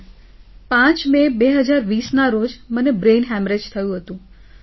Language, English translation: Gujarati, Sir, on the 5th of May, 2020, I had brain haemorrhage